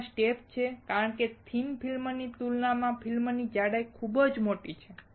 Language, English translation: Gujarati, The step is there because the film thickness is very large compared to thin film